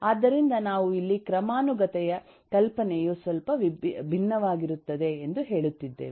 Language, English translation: Kannada, so we are saying here that comp, eh, notion of hierarchy is little bit different